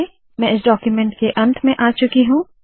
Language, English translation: Hindi, I have come to the end of the document